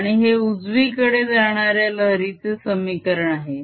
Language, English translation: Marathi, and this is the wave equation for wave that is traveling to the right